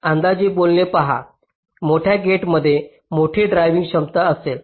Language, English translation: Marathi, see, roughly speaking, a larger gate will have a larger current driving capability